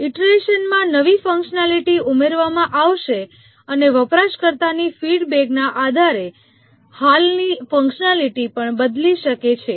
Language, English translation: Gujarati, In iteration, new functionalities will be added and also the existing functionalities can change based on the user feedback